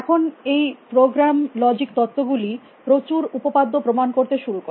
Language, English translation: Bengali, Now, this program logic theories, went on to proves several theorems on from